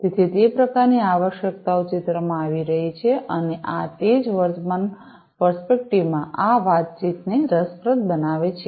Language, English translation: Gujarati, So, those kind of requirements are coming into picture and that is what makes this communication interesting in this current perspective